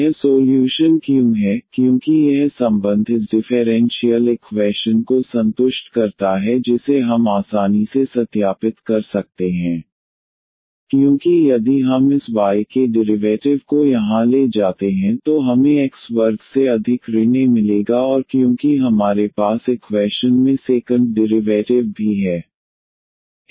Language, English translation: Hindi, Why this is the solution, because this relation satisfies this differential equation which we can easily verify because if we take the derivative here of this y we will get minus A over x square and because we have the second derivative as well in the equation